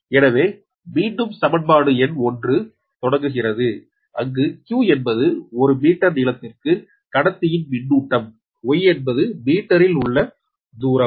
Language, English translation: Tamil, so again, equation number is starting from one right, where q is the charge on the conductor per meter length, y is the distance in meter and the epsilon zero is the permittivity of the free space